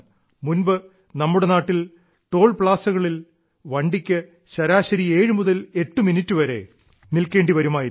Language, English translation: Malayalam, Earlier, a vehicle used to take on an average 7 to 8 minutes to cross our toll plazas